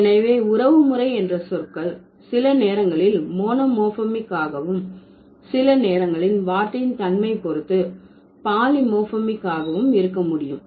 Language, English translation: Tamil, So, kinship terms can sometimes be monomorphic, can sometimes be polymorphic depending on the nature of the word